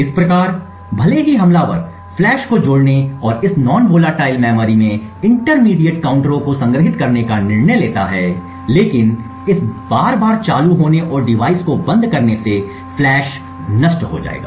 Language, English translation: Hindi, Thus, even if the attacker decides to add flash and store the intermediate counters in this non volatile memory the flash would get destroyed by this repeated turning on and turning off the device